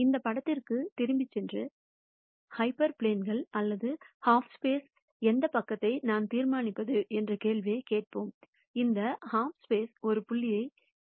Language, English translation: Tamil, Let us go back to this picture and then ask the question as to how do I determine which side of a half plane or a half space, which half space does a point lie in